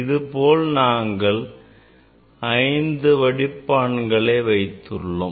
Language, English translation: Tamil, such type of filter we have five filters